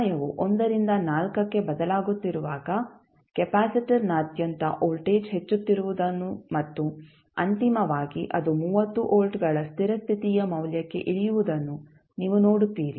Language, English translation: Kannada, You will see when time is changing from 1 to 4 the voltage across capacitor is rising and finally it will settle down to the steady state value that is 30 volts